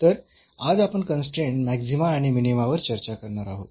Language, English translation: Marathi, So, today we will discuss the Constrained Maxima and Minima